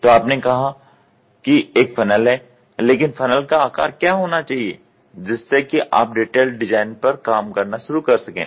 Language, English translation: Hindi, So, you said there is a funnel, but what should be the dimension of the funnel that you start giving in the detailed design